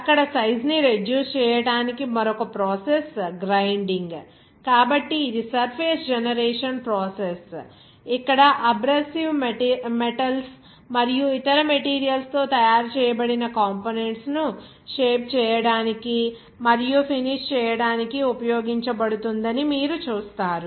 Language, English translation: Telugu, Grinding is also another process for the size reduction there so, it is the surface generation process, where you see that it is being used to shape and finish the components, which are made of abrasive metals and other materials there